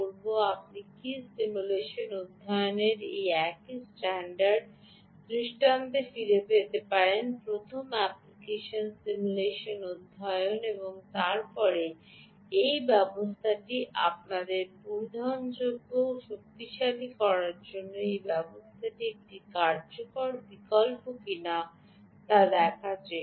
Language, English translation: Bengali, can you go back to this same standard paradigm of ah simulation study, first, application simulation study and then trying to see if this system is a viable option for powering our variable